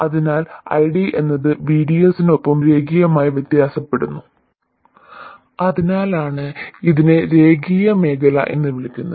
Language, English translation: Malayalam, So, ID varies linearly with VDS and this is why it is called the linear region